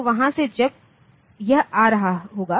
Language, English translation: Hindi, So, from there it will be when it is coming